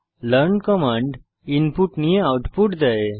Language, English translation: Bengali, learn Command can takes input and returns output